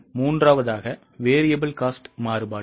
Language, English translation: Tamil, The third step is cost variance